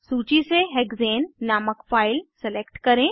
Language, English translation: Hindi, Select the file named Hexane from the list